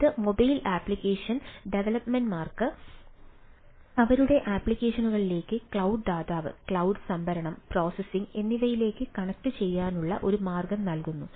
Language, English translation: Malayalam, when you look at it, it provides a mobile application developers a way to connect to their applications back in cloud provider and ah, uh, ah, uh, cloud storage and processing